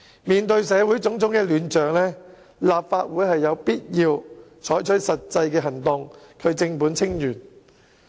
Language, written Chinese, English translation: Cantonese, 面對社會種種亂象，立法會有必要採取實際行動，正本清源。, In the face of the present chaos in society the Legislative Council must take practical actions to address the problem at root